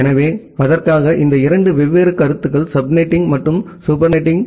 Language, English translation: Tamil, So, for that we have these two different concepts sub netting and super netting